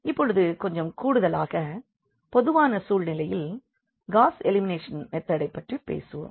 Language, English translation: Tamil, Now, this is a little more general case which we will be talking about this Gauss elimination method